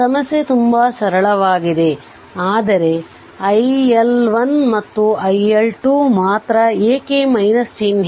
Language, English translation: Kannada, Problem is very simple, but only thing that iL1 and iL2 why minus sign